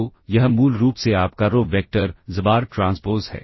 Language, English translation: Hindi, So, this is basically your row vector, xbar transpose